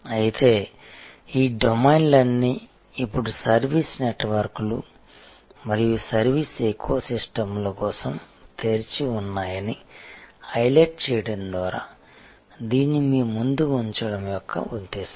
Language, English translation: Telugu, But, the purpose of putting this again in front of you is to highlight that all these domains are now open to service networks and service ecosystems